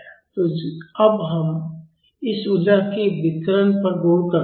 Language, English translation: Hindi, So, now, let us look into the details of this energy